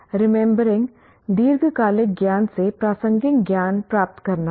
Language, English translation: Hindi, Remembering is retrieving relevant knowledge from a long term memory